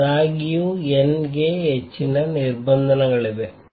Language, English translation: Kannada, However, there are more restrictions on n